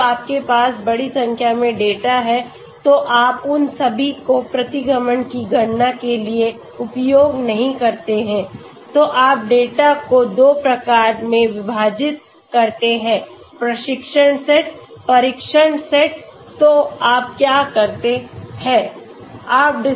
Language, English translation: Hindi, Then, when you have large number of data you do not use all of them for calculating regression, you divide the data in 2 types, training set, test set, so what you do